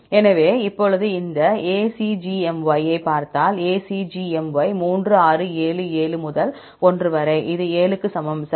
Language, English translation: Tamil, So, now, if you see these ACGMY; ACGMY 3, 6, 7, 7 into 1; this equal to 7; right